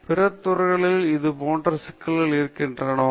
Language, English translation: Tamil, What similar problems exist in other fields